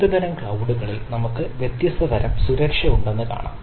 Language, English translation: Malayalam, so we can see that at various type of clouds we have different type of ah um level of security